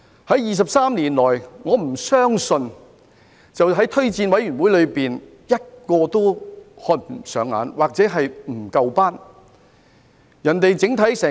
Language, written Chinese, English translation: Cantonese, 在23年來，我不相信推薦委員會連一個人選都看不上眼，又或認為不夠資格。, I do not believe that for 23 years JORC has not favoured any candidates from such jurisdictions or considered them to be all ineligible